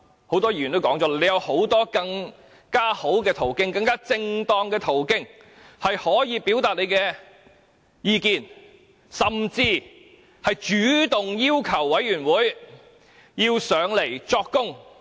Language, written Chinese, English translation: Cantonese, 很多議員也曾提及，他有很多更好及更正當的途徑可以表達意見，他甚至可以主動要求出席專責委員會會議作供。, As pointed out by many Members there are better and more appropriate ways for him to express his views and he can even take the initiative to request for attending the meetings of the Select Committee to give evidence